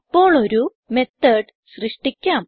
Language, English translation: Malayalam, Now let us create a method